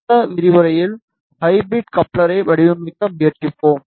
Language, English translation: Tamil, In the next lecture we will try to design hybrid coupler